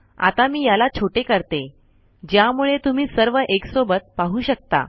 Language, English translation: Marathi, Now what I will do is I will make this smaller so that you can see all of it